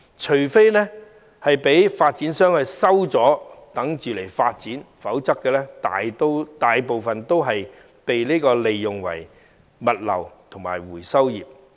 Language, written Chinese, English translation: Cantonese, 除非發展商將相關土地收回以待發展，否則當中大部分均為物流業和回收業所用。, Most of the sites except those acquired and held by developers for eventual development are used by the logistics and recycling industries